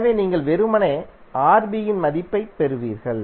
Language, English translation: Tamil, So you will get simply the value of Rb